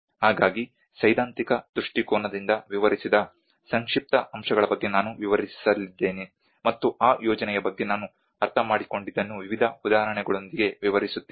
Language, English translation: Kannada, So I am going to describe about a brief aspects which described from a theoretical perspective along with various understanding of what I have understood about that project with various examples